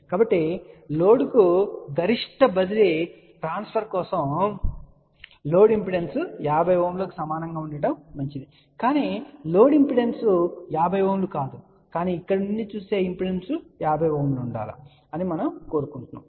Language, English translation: Telugu, So, for maximum transfer to the load, it will be better that the load impedance is equal to 50 Ohm well, but the load impedance is not 50 Ohm but we would prefer that impedance looking from here should be 50 Ohm